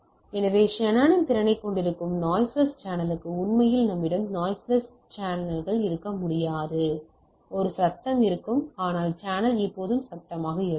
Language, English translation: Tamil, So, for noisy channel that we have that Shannon’s capacity, in reality we cannot have noiseless channel right, so there will be some form of noise or not the channel is always noisy